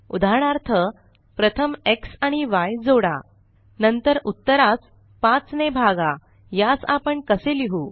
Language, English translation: Marathi, For example, how do we write First add x and y, then divide 5 by the result